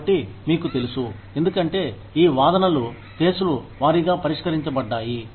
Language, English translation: Telugu, So, you know, since these claims are dealt with, on a case by case basis